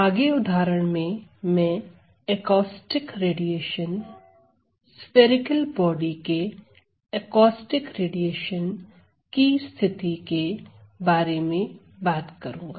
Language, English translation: Hindi, So, in this next example I am going to talk about the case of Acoustic radiation, Acoustic radiation of a spherical body